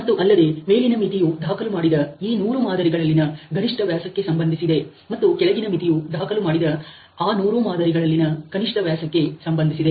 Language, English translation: Kannada, And then an upper limit which would correspond to the maximum diameter which is recorded in this 100 samples, and a lower limit which is recorded as a minimum sample diameter which is recorded on those 100 samples